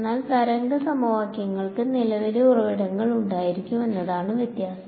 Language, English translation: Malayalam, But only difference will be that wave equation will have these a current sources